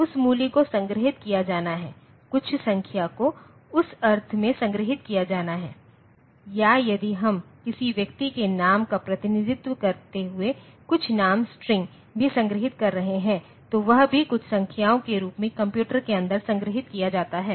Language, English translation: Hindi, That value has to be stored, some number has to be stored in that sense or if we are storing some name string also representing the name of a person, so, that is also stored inside the computer in the form of some numbers